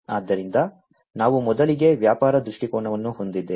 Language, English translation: Kannada, So, we have at first we have the business viewpoint